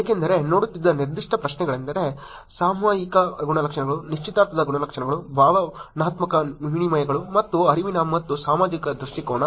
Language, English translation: Kannada, Since, specific questions that were look at are; Topical Characteristics, Engagement Characteristics, Emotional Exchanges, and Cognitive and Social Orientation